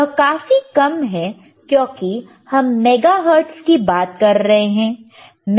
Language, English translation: Hindi, This is negligibly small why because we are talking about megahertz,